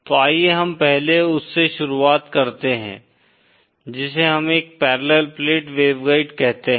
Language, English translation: Hindi, So let us 1st start with what we call as a parallel plate waveguide